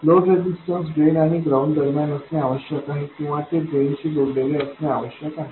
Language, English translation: Marathi, The load register must appear between drain and ground or it must be connected to the drain